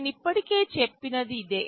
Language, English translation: Telugu, This is what I have already mentioned